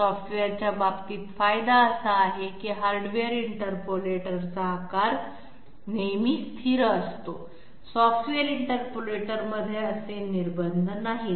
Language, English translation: Marathi, In case of software the advantage is that, while hardware interpolator always has the counter size et cetera, always fixed, in the software interpolators such restrictions are not there